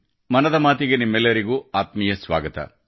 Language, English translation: Kannada, A warm welcome to all of you in 'Mann Ki Baat'